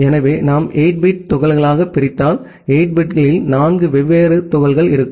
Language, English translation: Tamil, So, if we divide into 8 bit chunks, we will have four different chunks of 8 bits